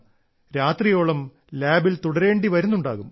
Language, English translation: Malayalam, You must be spending many an overnight in the lab